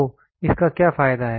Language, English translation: Hindi, So, what is the advantage of it